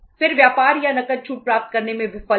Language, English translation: Hindi, Then failure to get trade or cash discounts